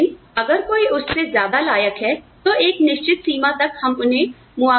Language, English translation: Hindi, But, if somebody deserve more than that, up to a certain limit, we can compensate them